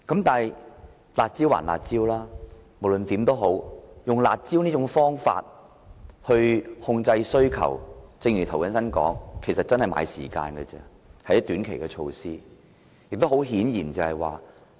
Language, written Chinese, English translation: Cantonese, 但是，"辣招"歸"辣招"，以"辣招"來控制需求，正如涂謹申議員所說，其實只是在買時間，只是短期措施。, Nonetheless curb measures are curb measures and using curb measures to control demand is as pointed out by Mr James TO merely a way to buy time and they are short - term measures only